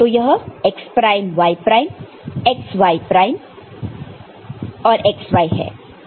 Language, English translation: Hindi, This x prime y prime, x y prime and x y